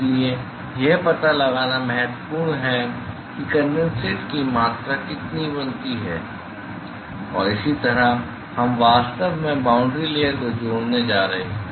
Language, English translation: Hindi, So, therefore, it is important to find out, what is the amount of condensate that is formed and that is how we are actually going to relate the boundary layer